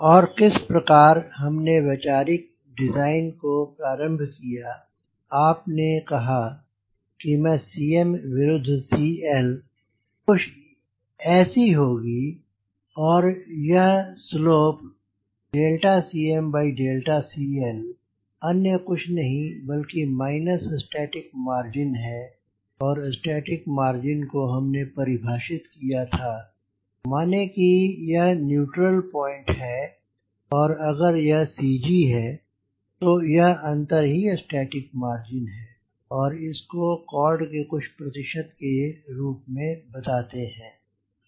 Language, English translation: Hindi, as for as conceptualizing the design, you said: ok, i know c m versus c l will be something like this and this slope, d c m by d c l is nothing but minus static margin and static margin will define as if this is the neutral point and if this is the c g, then this difference is static margin and it is expressed as some percentage of called